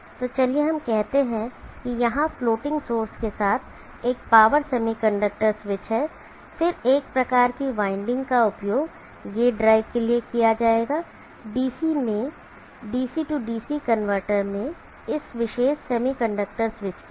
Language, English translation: Hindi, So let us there is one power semiconductor switch here with floating source then one of the windings will be use for gate drive of this particular semiconductor switch in the DC main DC DC converter